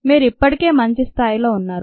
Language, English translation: Telugu, you are already ah had a good level